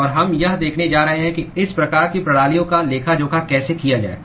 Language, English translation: Hindi, And we are going to see how to account for these kinds of systems